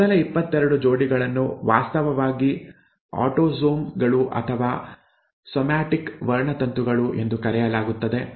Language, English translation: Kannada, The first 22 pairs are actually called autosomes or somatic chromosomes, somatic for body, somatic chromosomes